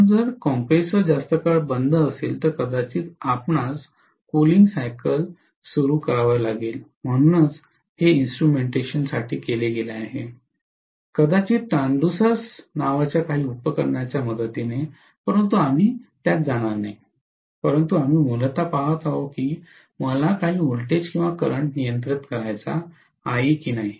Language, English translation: Marathi, So if the compressor is off for too long, then again you might have to start the cooling cycle, so this instrumentation is done, maybe with the help of some of the apparatus called transducers, but we are not going to get into that, but we are essentially looking at if I have to control some voltage or current